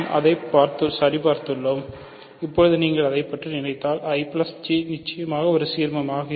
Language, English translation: Tamil, So, we have checked that and now if you think about it I plus J is certainly an ideal